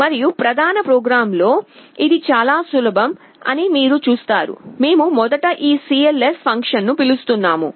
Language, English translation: Telugu, And in the main program, you see it is very simple, we are calling this cls function first